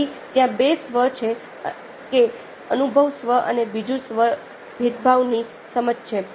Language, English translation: Gujarati, one is the experiencing self and other one is the understanding of discriminating self